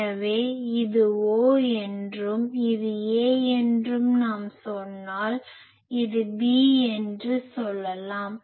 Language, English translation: Tamil, So, if we say that this is O and this is A, and this is let us say B